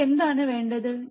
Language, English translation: Malayalam, What we need